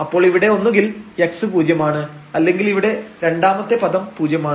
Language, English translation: Malayalam, So, either x has to be 0 or this term in this bracket has to be 0